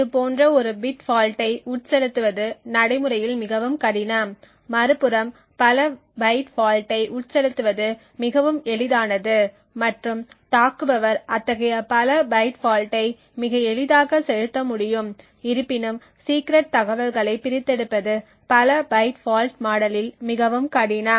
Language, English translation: Tamil, On the other hand actually injecting such a bit fault is extremely difficult in practice, on the other hand injecting multiple byte faults is much far more easier and the attacker would be able to inject such multiple byte faults far more easily however extracting secret information using a multiple byte fault is more difficult